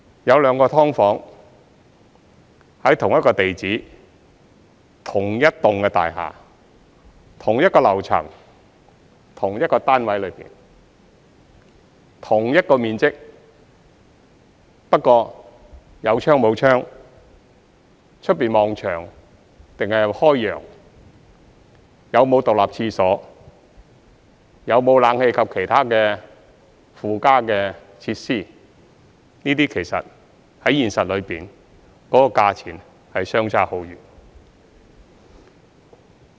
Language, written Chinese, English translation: Cantonese, 有兩個"劏房"，在同一個地址、同一幢大廈、同一個樓層、同一個單位內、同一個面積，但有窗和沒有窗、外面望牆壁或是開揚、有沒有獨立廁所、有沒有冷氣及其他附加的設施，這些其實在現實當中，價錢相差很遠。, There are two subdivided units SDUs where they are in the same address same unit of the same floor and building and with the same size but there could be a huge difference between their rents in practice because of various factors such as whether there is a window the view whether there is an independent toilets and air conditioning and other additional facilities